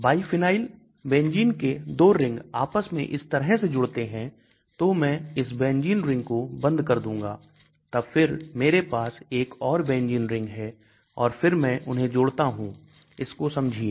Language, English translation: Hindi, Biphenyl, 2 benzene rings connected like this so I will close this benzene ring then I will have another benzene ring and then I connect them, understand this one